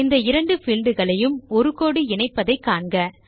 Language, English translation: Tamil, Notice a line connecting these two field names